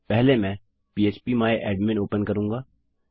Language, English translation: Hindi, First I will open php my admin